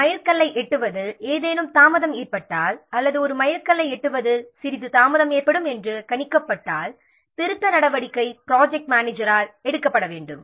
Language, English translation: Tamil, If any delay is there in reaching a milestone or it is predicted that there will some delay in reaching a milestone then the corrective action has to be taken by the project manager